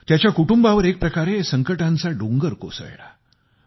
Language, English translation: Marathi, In a way, his family was overwhelmed by trials and tribulations